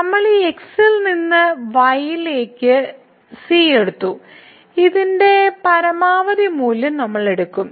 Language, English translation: Malayalam, So, we have taken the from this to and we will take the maximum value of this one